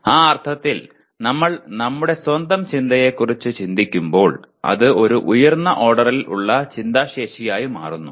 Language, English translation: Malayalam, In that sense as we are thinking of our own thinking it becomes a higher order thinking ability